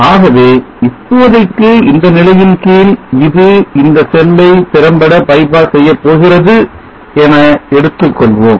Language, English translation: Tamil, So let us consider for now that this is effectively going to by pass this cell, under such condition